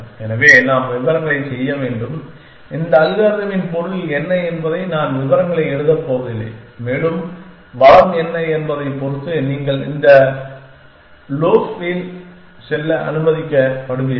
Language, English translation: Tamil, So, we should work out the details I am not going to write the details the meaning of this algorithm is and depending on what the resource is is allow you will go into this loaf